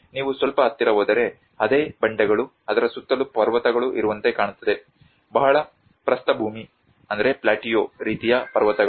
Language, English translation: Kannada, If you go little closer, the same cliffs, it looks like this where there is mountains around it, a very plateau sort of mountains